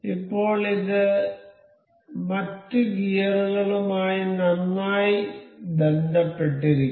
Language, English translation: Malayalam, Now, it is well linked with the other gears